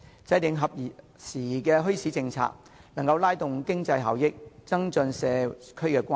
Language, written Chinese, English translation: Cantonese, 制訂合時宜的墟市政策不但能夠提高經濟效益，而且增進社區關係。, Formulating an appropriate policy on bazaars will not only increase economic benefits but also promote social relationships in the community